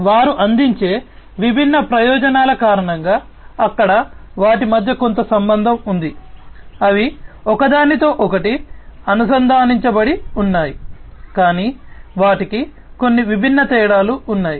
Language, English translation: Telugu, Because of different advantages that they offer, there you know they are, there they have some relationship between them they are interlinked, but they are they have some distinct differences